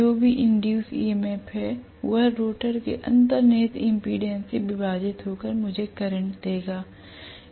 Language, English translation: Hindi, Whatever is induced EMF that divided by inherent impedance of the rotor will give me the current